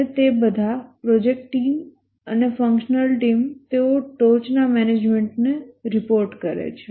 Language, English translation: Gujarati, And all of them, the project team and the functional team they report to the top management